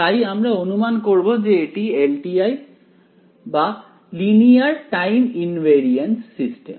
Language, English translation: Bengali, So, we will just assume that this is LTI ok, Linear Time Invariance system